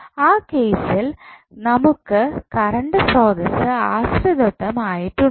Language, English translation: Malayalam, So, here in this case we have the current source which is dependent